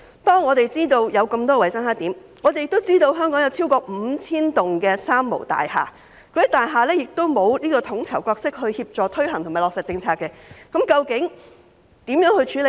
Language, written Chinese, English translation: Cantonese, 當我們知道有那麼多衞生黑點，也知道香港有超過 5,000 棟"三無大廈"，由於那些大廈欠缺統籌角色協助推行和落實政策，當局如何處理呢？, As we know that there are so many hygiene blackspots and that there are over 5 000 three - nil buildings in Hong Kong which do not have anyone to play a coordinating role to facilitate the promotion and implementation of policies how will the authorities deal with this?